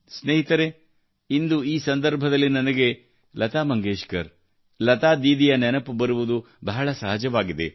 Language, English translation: Kannada, Friends, today on this occasion it is very natural for me to remember Lata Mangeshkar ji, Lata Didi